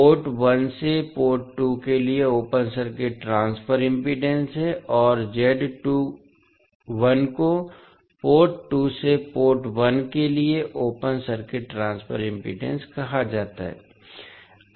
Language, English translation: Hindi, Z12 is open circuit transfer impedance from port 1 to port 2 and Z21 is called open circuit transfer impedance from port 2 to port 1